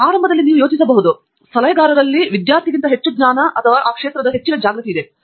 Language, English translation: Kannada, So, initially you might think that the advisor has more knowledge or more awareness of the area than a student